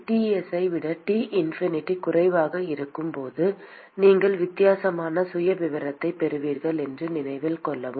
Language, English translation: Tamil, Note that when T infinity is less than Ts then you are going to have a profile which is different